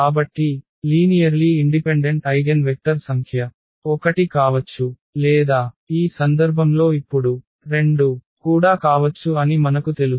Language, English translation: Telugu, So, we know now that the number of linearly independent eigenvectors could be 1 or it could be 2 also now in this case